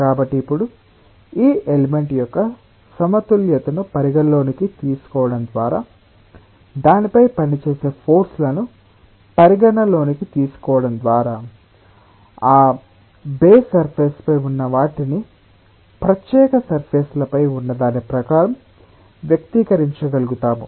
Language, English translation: Telugu, so now, by considering the equilibrium of this element, by considering the forces which are acting on it, we will be able to express what is there on that odd surface in terms of what is there on the special surfaces